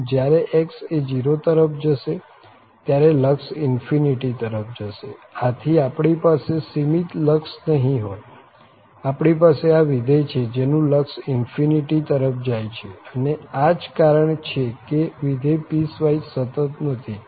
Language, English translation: Gujarati, So, when x goes to 0 this limit goes to infinity, so we do not have finite limit here, we have this function with limit is going to infinity and that is the reason that this is not piecewise continuous